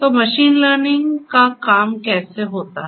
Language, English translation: Hindi, So, how does machine learning work